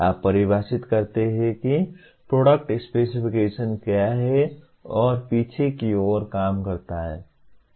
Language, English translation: Hindi, You define what a product specifications and work backwards